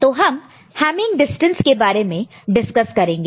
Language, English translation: Hindi, So, we shall discuss Hamming distance